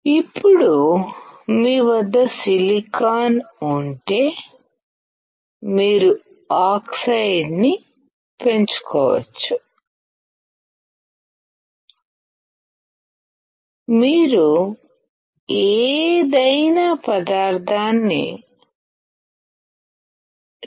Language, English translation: Telugu, Now, if you have silicon, you can grow oxide; you can deposit any material